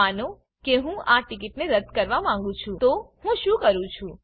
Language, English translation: Gujarati, Suppose I want to cancel this ticket what do I do